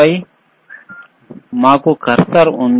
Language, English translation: Telugu, On the top, we have cursor right